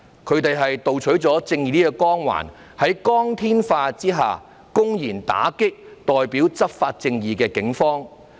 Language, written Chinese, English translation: Cantonese, 他們盜取了正義的光環，在光天化日下，公然打擊代表執法正義的警方。, They pilfered the halo of righteousness and in broad daylight they openly attacked the Police who represent justice through law enforcement